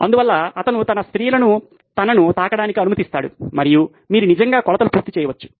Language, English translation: Telugu, So he would allow his women to touch him and you could actually get the measurements done